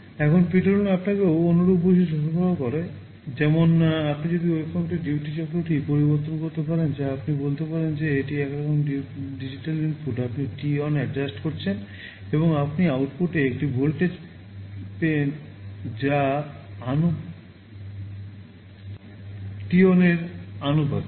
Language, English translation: Bengali, Now, PWM also provides you with a similar feature, like if you change the duty cycle of the waveform that you can say is some kind of digital input, you are adjusting t on, and you are getting a voltage in the output which is proportional to that t on